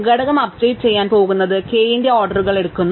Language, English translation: Malayalam, Up updating component takes orders size of k steps